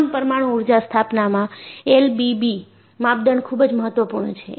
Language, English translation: Gujarati, So, in all nuclear power installations, L V B criterion is very very important